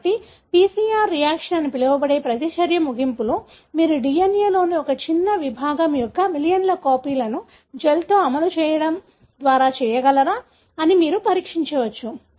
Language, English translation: Telugu, So, at the end of that so called reaction, what you call PCR reaction, you can test whether you are able to make millions of copies of a small segment of the DNA, by running it in a gel